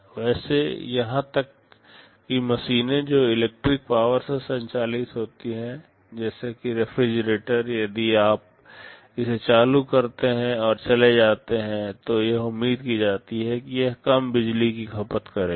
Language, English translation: Hindi, Well even for machines which operate from electric power, like a refrigerator if you put it on and go away, it is expected that it will consume very low power